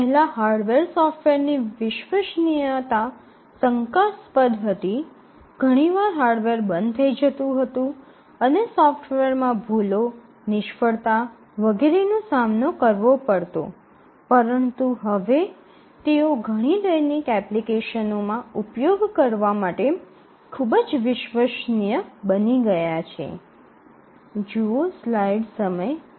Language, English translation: Gujarati, Earlier the hardware and software reliability was questionable, often the hardware will shut down the software will encounter bugs, failures and so on, but now they have become extremely reliable for them to be used in many many daily applications